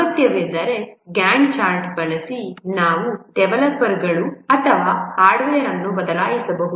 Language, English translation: Kannada, If necessary using a Gant chart, we can change the developers or hardware